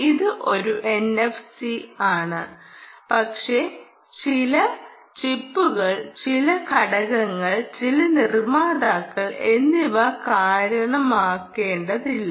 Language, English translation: Malayalam, its an s p i, but never mind, some chips will, some components, some manufacturers